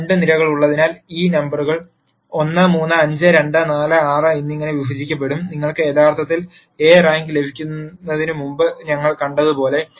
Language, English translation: Malayalam, So, since there are two columns, these numbers will be partitioned into 1, 3, 5, 2, 4, 6 and as we saw before you can actually get the rank of A